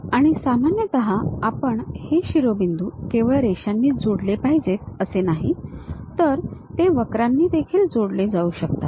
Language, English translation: Marathi, And, usually it is not necessary that we have to connect these vertices only by lines, they can be connected by curves also